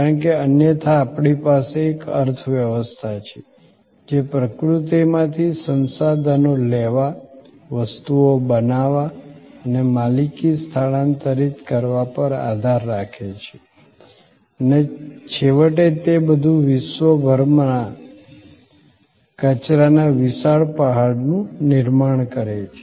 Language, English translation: Gujarati, Because, otherwise we have an economy, which relies on taking stuff taking resources from nature, making things and transferring the ownership and ultimately all that is creating a huge mountain of waste around the world